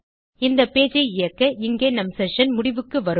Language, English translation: Tamil, If we run this page here, it will destroy our session